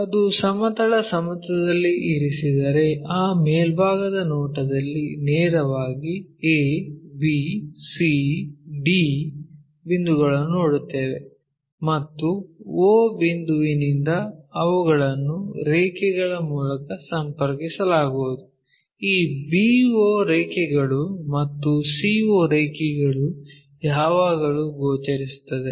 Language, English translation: Kannada, If it is resting on horizontal plane then we will see a, b, c, d points straight away in that top view and o point they will be connected by lines, this b o line and c o line always be visible